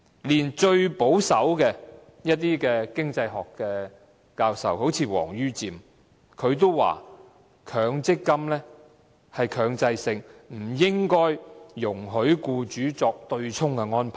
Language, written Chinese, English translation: Cantonese, 連最保守的經濟學教授例如王于漸也指出，強積金是強制性，不應容許僱主作對沖安排。, Even a most conservative professor of economics such as Richard WONG has indicated that given the mandatory nature of MPF no offsetting arrangement should be allowed on the part of employers